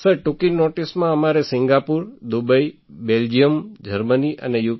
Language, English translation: Gujarati, Sir, for us on short notice to Singapore, Dubai, Belgium, Germany and UK